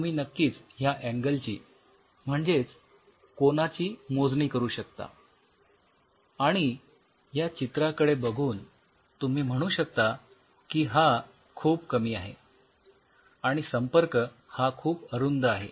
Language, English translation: Marathi, So, you can really measure the angle just by looking at this picture you can say angle will be something like this very little contact are there narrow contact